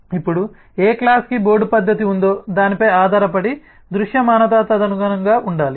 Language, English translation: Telugu, now, depending on which class has a board method, the visibility will have to be accordingly